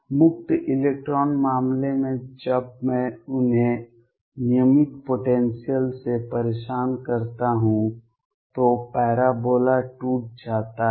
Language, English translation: Hindi, In the free electron case when I disturb them by a regular potential the parabola breaks up